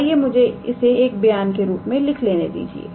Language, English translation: Hindi, Let me write this in terms of statement